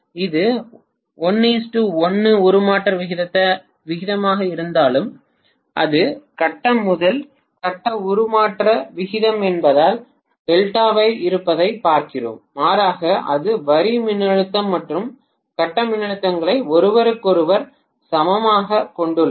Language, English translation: Tamil, Even if it is 1 is to 1 transformation ratio because it is phase to phase transformation ratio and we are looking at delta being rather it is having the line voltage and phase voltages as equal to each other